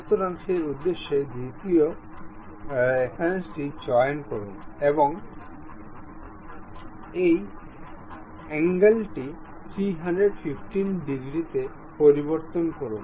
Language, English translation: Bengali, So, for that purpose, pick second reference and change this angle to something 315 degrees